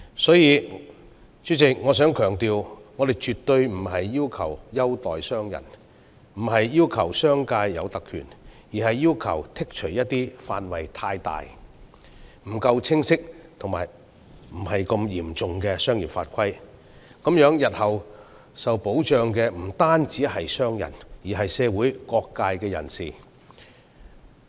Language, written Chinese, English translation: Cantonese, 所以，主席，我想強調，我們絕對不是要求政府優待商人，亦不是為商界爭取特權，而是要求剔除一些範圍過大、不夠清晰及不太嚴重的商業法規，以便日後為商人以至社會各界人士提供保障。, President I would therefore stress that we are definitely not asking the Government to give merchants favourable treatment; nor are we striving for privileges for the business sector . We are just asking for the removal of items of offences against commercial laws and regulations which are too broad in scope ambiguous and not too serious so as to provide safeguards for merchants and even various sectors of community in future